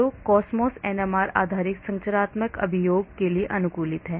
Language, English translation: Hindi, so COSMOS NMR is optimized for NMR based structural elucidation, remember that